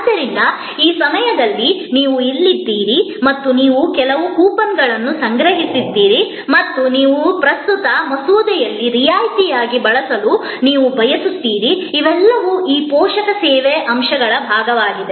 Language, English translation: Kannada, So, this time you are here and you have some coupons collected and you want to use that as a discount on your current bill, all those are part of these supporting service elements